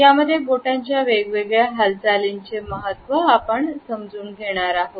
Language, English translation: Marathi, In this module, we would look at the significance of different Finger Movements